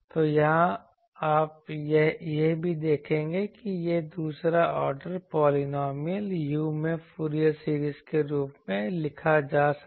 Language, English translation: Hindi, So, here also you see that this second order polynomial can be written as a Fourier series in u